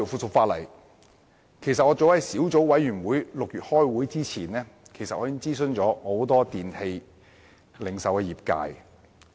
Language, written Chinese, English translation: Cantonese, 再加上，早在小組委員會於6月開會之前，我已就《修訂令》諮詢很多電器零售業界人士。, Moreover as early as before the Subcommittee met in June I had consulted many members of the electrical appliance retailing sector on the Amendment Order